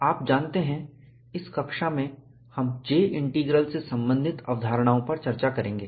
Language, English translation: Hindi, You know, in this class, we will discuss concepts related to J Integral